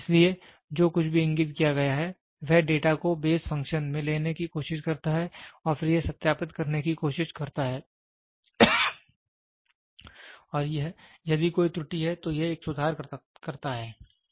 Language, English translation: Hindi, So, whatever is indicated, it tries to take the data looks into a base function and then it tries to verify and if there is an error, it does a correction